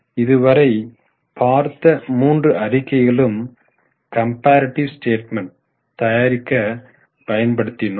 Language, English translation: Tamil, So, what we did now for all the three statements was calculation of comparative statement